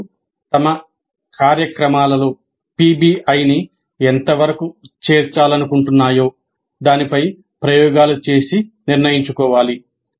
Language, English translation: Telugu, Institutes need to experiment and decide on the extent to which they wish to incorporate PBI into their programs